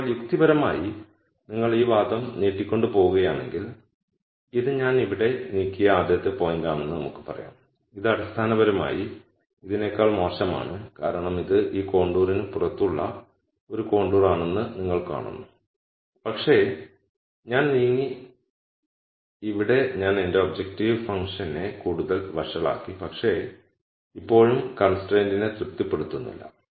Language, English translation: Malayalam, Now logically if you keep extending this argument you will see that, let us say this is the first point I moved here which is basically worse than this because you see this is a contour which is going to be outside of this contour, but I moved here I made my objective function worse, but I still am not satisfying the constraint